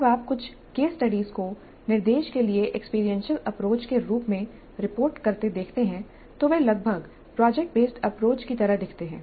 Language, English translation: Hindi, When you see some of the case studies reported as experiential approach to instruction, they almost look like product based approaches